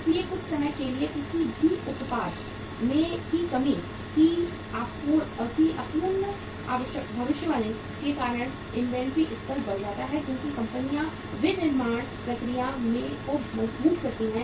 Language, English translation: Hindi, So because of sometime of imperfect prediction of demand for any product increases the inventory level because companies strengthen the manufacturing process